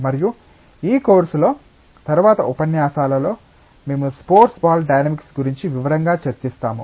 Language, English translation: Telugu, And in one of the lectures later on in this course, we will discuss in details about the sports ball dynamics